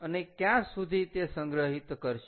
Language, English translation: Gujarati, ok, and how long is stored